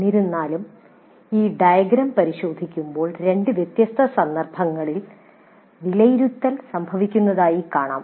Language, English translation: Malayalam, However, when we look into this diagram, we see that evaluate occurs in two different contexts